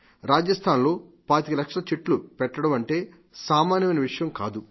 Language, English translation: Telugu, To plant 25 lakhs of sapling in Rajasthan is not a small matter